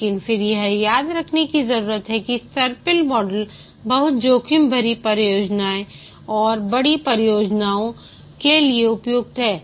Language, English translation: Hindi, But then need to remember that the spiral model is suitable for very risky projects and large projects